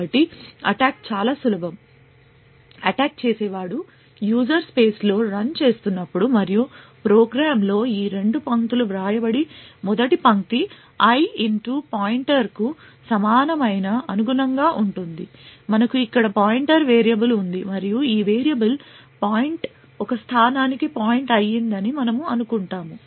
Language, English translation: Telugu, So the attack as such is quite simple the attacker we assume is running in the user space and has these two lines written in the program, the first line i equal to *pointer corresponds to something like this we have a pointer variable over here and let us assume that this point of variable is pointing to a location say this